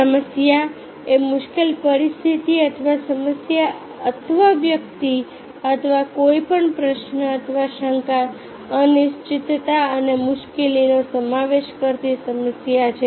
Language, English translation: Gujarati, a problem is a difficult situation or a issue, or a person, or any question or issue involving doubt, uncertainty or difficulty and a question need to be answer or solved